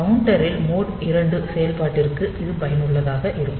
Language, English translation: Tamil, So, this is useful for mode 2 operation in the counter